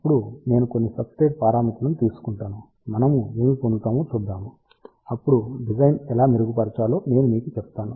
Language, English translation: Telugu, Then I will take some substrate parameters see what we get then I will tell you how to improve the design